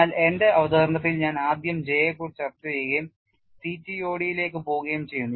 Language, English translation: Malayalam, But my presentation I am discussing J first and go to CTOD